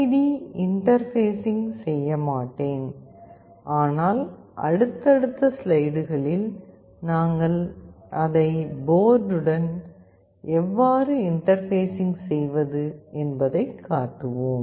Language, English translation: Tamil, Although in this experiment I will not interface the LED, but in subsequent slides you will find how do we interface it with the board